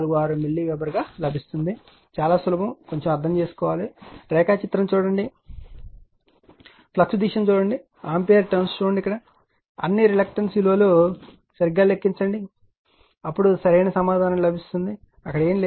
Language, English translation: Telugu, 646 milliweber, very simple it is only you have to understand little bit right nothing is there, looking at the diagram circuit nothing is there just see the direction of the flux see the ampere turns and calculate all the reluctances value dimensions correctly right and then you will get your what you call the correct answer right nothing is there actually right